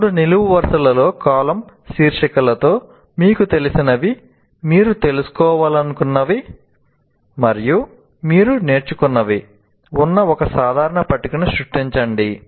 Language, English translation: Telugu, You create a kind of a table with three columns where you write, what do I know, what I wanted to know, and what is it that I have learned